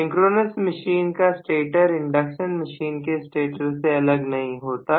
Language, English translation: Hindi, The synchronous machine stator is absolutely not different from the induction machine stator